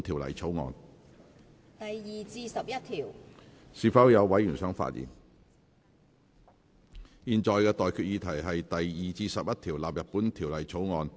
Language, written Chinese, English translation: Cantonese, 我現在向各位提出的待決議題是：第2至11條納入本條例草案。, I now put the question to you and that is That clauses 2 to 11 stand part of the Bill